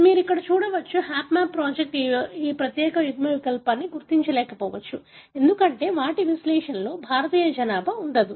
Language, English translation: Telugu, You can see here, the HapMap project may not have, identified this particular allele, because their analysis does not include, the Indian population